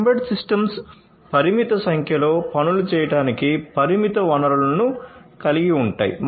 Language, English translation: Telugu, Embedded systems have limited resources for per performing limited number of tasks